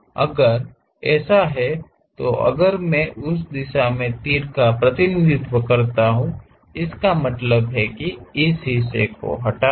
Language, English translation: Hindi, If that is the case, if I represent arrows in that direction; that means, retain that, remove this part